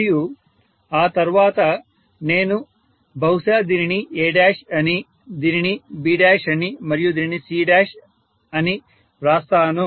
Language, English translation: Telugu, So now I can again mention one as A, one as B and one as C